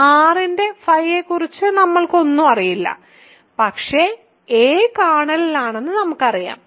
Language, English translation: Malayalam, So, we do not know anything about phi of r, but we do know that a is in the kernel